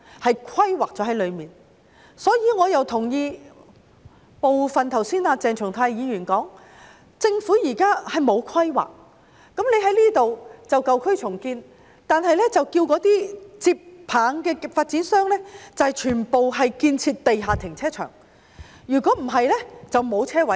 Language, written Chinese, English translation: Cantonese, 故此，我同意鄭松泰議員剛才提出的部分意見，政府現時沒有規劃，例如建議在這裏進行舊區重建，卻要求接棒的發展商全部興建地下停車場，否則便沒有車位。, Therefore I agree with part of the comments made by Dr CHENG Chung - tai just now that the Government has no planning at present . For instance when they propose to redevelop old areas here they will require all developers taking up the projects to build underground car parks otherwise there will be no parking spaces